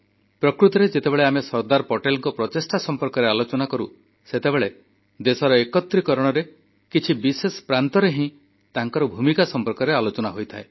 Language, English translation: Odia, Actually, when we refer to Sardar Patel's endeavour, his role in the unification of just a few notable States is discussed